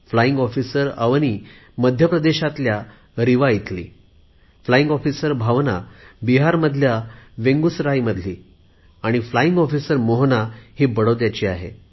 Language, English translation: Marathi, Flying Officer Avni is from Rewa in Madhya Pradesh, Flying Officer Bhawana is from Begusarai in Bihar and Flying Officer Mohana is from Vadodara in Gujarat